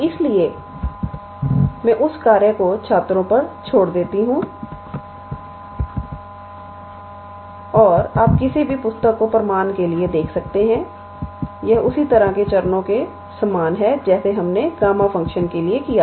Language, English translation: Hindi, So, I leave that task up to the students and you can look into any book for the proof itself it is follows the similar same steps like we did for the gamma function